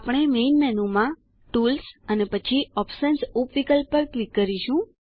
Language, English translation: Gujarati, We will click on Tools in the main menu and Options sub option